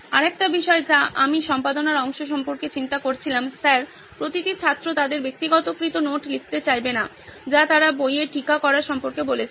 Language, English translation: Bengali, Another thing I was thinking about the editing part Sir is not every student would want to write their personalized note on what they are reading like you said about annotations in the book